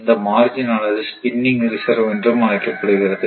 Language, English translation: Tamil, The margin which is known as this is called spinning reserve, right